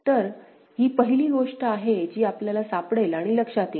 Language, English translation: Marathi, So, this is the first thing that we would find and note, ok